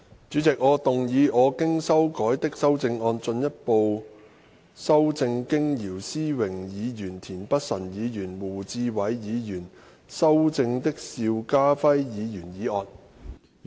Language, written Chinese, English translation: Cantonese, 主席，我動議我經修改的修正案，進一步修正經姚思榮議員、田北辰議員及胡志偉議員修正的邵家輝議員議案。, President I move that Mr SHIU Ka - fais motion as amended by Mr YIU Si - wing Mr Michael TIEN and Mr WU Chi - wai be further amended by my revised amendment